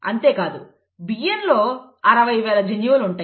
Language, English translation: Telugu, And not just that rice has 60,000 genes